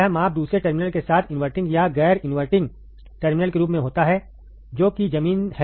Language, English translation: Hindi, The measurement occurs with respect to either the inverting or non inverting terminal with the other terminal that is the ground, alright